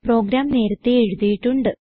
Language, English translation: Malayalam, I have already written the program